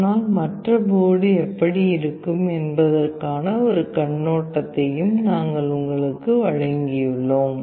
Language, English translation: Tamil, But we have also given you an overview of how other board looks like